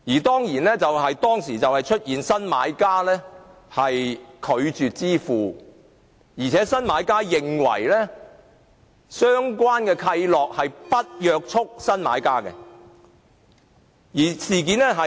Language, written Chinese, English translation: Cantonese, 當時出現了新買家拒絕支付的情況，而新買家亦認為相關契諾並不約束新買家。, At that time the new buyer refused to pay and considered that the relevant covenant was not binding on the new buyer